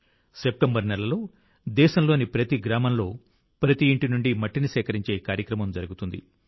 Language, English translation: Telugu, In the month of September, there will be a campaign to collect soil from every house in every village of the country